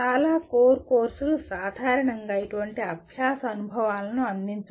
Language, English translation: Telugu, Most of the core courses do not generally provide such learning experiences